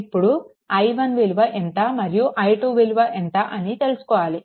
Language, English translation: Telugu, So, first you have to find out what is i 1